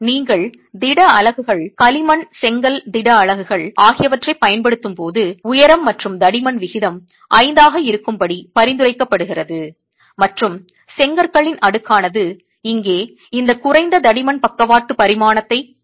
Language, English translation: Tamil, Recommendation when you are using solid units, clay brick solid units is to go with a height to thickness ratio of 5 and this thickness here for the stack of bricks refers to the least lateral dimension